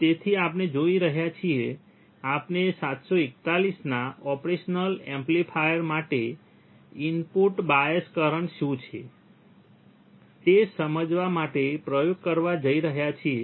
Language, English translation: Gujarati, So, we are going to we are going to perform the experiment to understand what is the input bias current for the operational amplifier that is 741